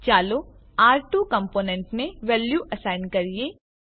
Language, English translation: Gujarati, Let us assign value to R2 component